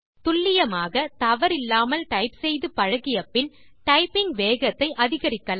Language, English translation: Tamil, Once, we learn to type accurately, without mistakes, we can increase the typing speed